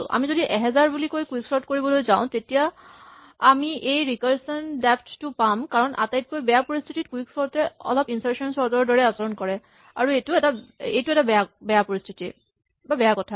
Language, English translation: Assamese, If we say 1000 and then we try to quicksort this, we will get this recursion depth because as we will see, in the worst case actually, quicksort behaves a bit like insertion sort and this is a bad case